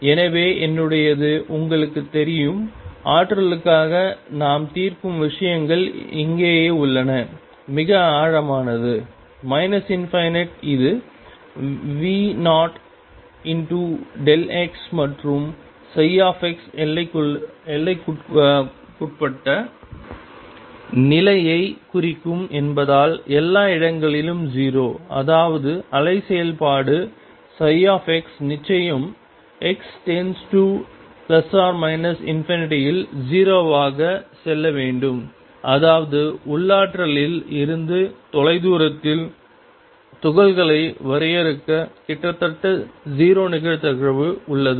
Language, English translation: Tamil, So, that it is you know mine; what we are solving for the potential is right here, very deep minus infinity this is V naught delta x and 0 everywhere else since psi x represents bound state; that means, the wave function psi x must go to 0 as x goes to plus or minus infinity; that means, there is a almost 0 probability of finite the particle far away from the potential